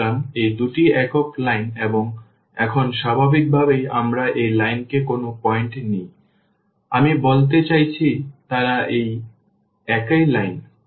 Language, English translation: Bengali, So, they say these two are the same lines and now naturally any point we take on this line I mean they are the same line